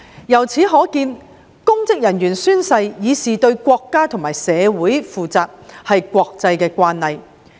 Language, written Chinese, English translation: Cantonese, 由此可見，公職人員宣誓以示對國家和社會負責也是國際慣例。, From this it can be seen that the practice that public officers take oath to show that they are responsible to the country and society is an international practice